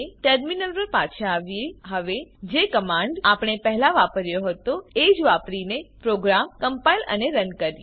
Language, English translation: Gujarati, Come back to a terminal Now compile and run the program using the command we used before